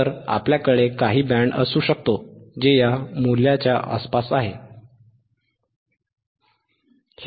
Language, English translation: Marathi, So, we can have some band which is around this value, right